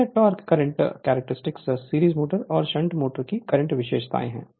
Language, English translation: Hindi, So, this is the torque current character, your current characteristics of your series motor and shunt motor